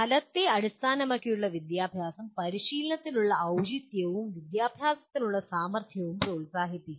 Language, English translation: Malayalam, It makes outcome based education promotes fitness for practice and education for capability